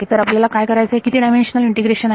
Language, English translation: Marathi, So we have to do what how many dimensional integration